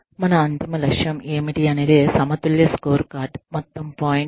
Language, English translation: Telugu, That is the whole point of the balanced scorecard